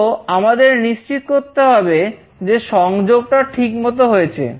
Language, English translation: Bengali, So, we need to make sure that we are done with this proper connection